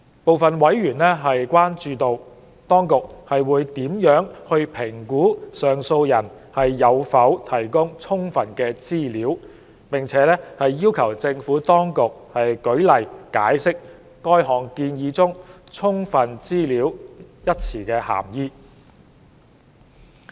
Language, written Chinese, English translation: Cantonese, 部分委員關注到，當局會如何評估上訴人有否提供"充分"資料，要求政府當局舉例解釋該項建議中"充分資料"一語的涵義。, Certain members have expressed concern about how an assessment would be made as to whether sufficient information has been provided . They have requested the Administration to give examples to elaborate the meaning of the expression sufficient information in the proposal